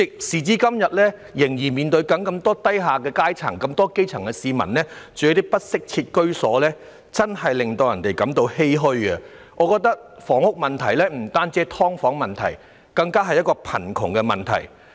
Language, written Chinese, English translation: Cantonese, 時至今天，仍有這麼多基層市民居住在不適切的居所，實在令人欷歔。我認為房屋問題不單涉及"劏房"問題，也是貧窮問題。, It is really saddening that there are still so many grass - roots people residing in inadequate housing today and in my opinion housing problem involves not only the issue of subdivided units but also the poverty problem